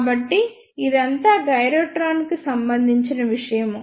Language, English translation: Telugu, So, this is all about the gyrotron